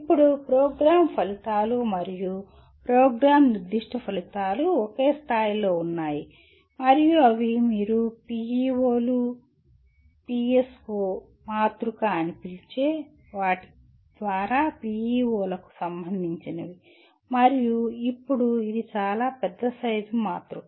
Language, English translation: Telugu, And now Program Outcomes and Program Specific Outcomes are at the same level and they get related to PEOs through what you call PEO PSO matrix and now this is a fairly large size matrix